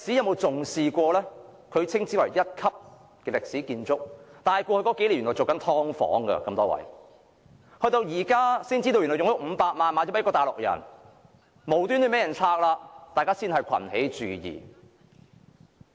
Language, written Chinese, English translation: Cantonese, 紅樓屬一級歷史建築，但過去數年原來被用作"劏房"，到了現在才知道它已經以500萬元賣了給一名大陸人，無端被拆，市民才群起注意。, Hung Lau is a Grade 1 historic building but over the past few years it has actually been used for providing subdivided units . It did not receive much public attention until recently when the public learnt that it was threatened with demolition for no reason after being sold to a Mainlander for 5 million